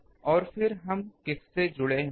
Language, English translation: Hindi, And then we it will be connected to whom